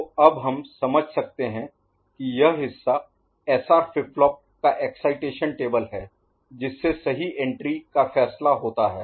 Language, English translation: Hindi, So, we can now understand that this part is the SR flip flop excitation table, which is deciding the entries right